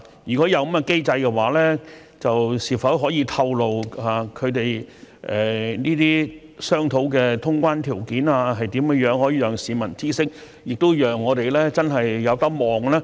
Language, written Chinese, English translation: Cantonese, 如果有這個機制，是否可以透露他們商討的通關條件為何？可以讓市民知悉，亦讓我們真的可以盼望。, If there is such a mechanism can the conditions under discussion for full resumption of traveller clearance be disclosed so that members of the public are informed and we can really look forward to it?